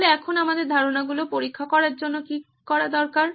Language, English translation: Bengali, So now what do we need to test our ideas